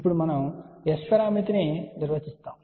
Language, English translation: Telugu, Now, we will define the S parameter